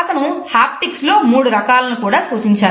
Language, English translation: Telugu, He has also referred to three different types of haptics